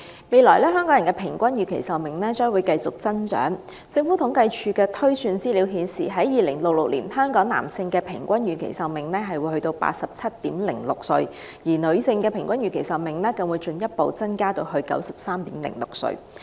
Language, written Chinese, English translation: Cantonese, 未來香港人的平均預期壽命將繼續增長，按政府統計處的推算，到了2066年，香港男性的平均預期壽命會達到 87.06 歲，而女性則會更進一步地增長至 93.06 歲。, The average life expectancy of Hong Kong people will continue to increase and according to estimation by the Census and Statistics Department the average life expectancy of men in Hong Kong will be as long as 87.06 years in 2066 while that of women will increase further to 93.06 years